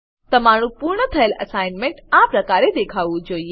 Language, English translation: Gujarati, Your completed assignment should look as follows